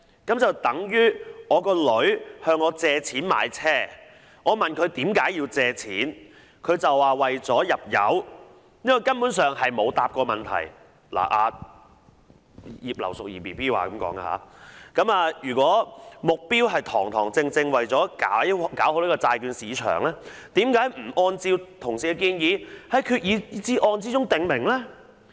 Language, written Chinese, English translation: Cantonese, 這便等於我的女兒向我借錢買車，我問她為何要借錢，她便說是為了入油，這根本上是沒有回答"，這是"葉劉淑儀 BB" 說的，"如果目標是堂堂正正為了搞好債券市場，何不按照同事的建議，在決議案中訂明？, I can think of a similar scenario my daughter borrows money from me to buy a car; when I ask her why she needs to borrow the money she answers that she needs to fill the car with petrol . This is not an answer at all . Regina IP BB said if the open and aboveboard purpose is to promote the development of the bond market then why does the Government not spell this out in the resolution as Honourable colleagues have suggested?